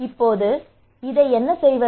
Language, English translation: Tamil, Now how they do it